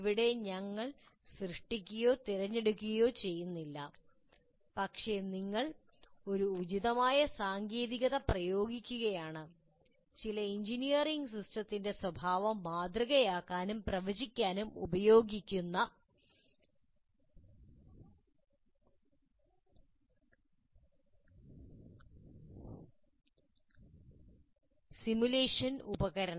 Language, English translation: Malayalam, So here we are neither creating nor selecting, but we are just applying an appropriate technique, that is simulation tool, to kind of, that is both modeling and prediction of the behavior of some engineering system